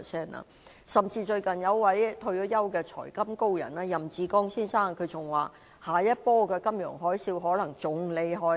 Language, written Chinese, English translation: Cantonese, 最近甚至有一位退休"財金高人"任志剛先生表示，下一波的金融海嘯可能更厲害。, Recently a retired financial - meister Joseph YAM said that the next round of financial tsunami would be fiercer